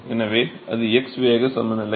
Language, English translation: Tamil, So, that is the x momentum balance